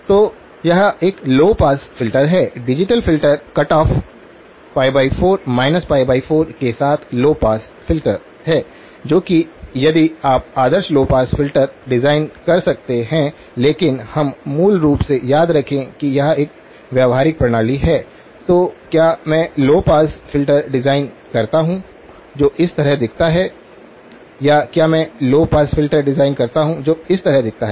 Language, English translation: Hindi, So, this is a low pass filter; the digital filter is a low pass filter with cut off pi by 4, minus pi by 4 okay that is if you could design and ideal low pass filter but in we are basically remember this is a practical system, so do I design a low pass filter that looks like this or do I design a low pass filter that looks like this